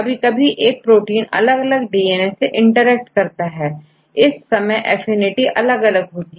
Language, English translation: Hindi, Sometimes we have the same proteins interact with different DNAs in this case the affinity is different